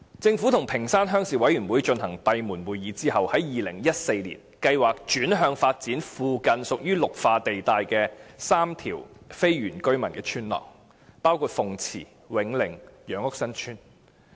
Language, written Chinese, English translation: Cantonese, 政府與屏山鄉鄉事委員會進行閉門會議後，於2014年計劃轉向發展附近屬於綠化地帶的3條非原居民村落，包括鳳池村、永寧村和楊屋新村。, After meeting with the Ping Shan Rural Committee behind closed doors the Government changed its plan in 2014 and decided to develop the nearby Green Belt sites where three villages with non - indigenous residents were located . The villages include Fung Chi Tsuen Wing Ning Tsuen and Yeung Uk San Tsuen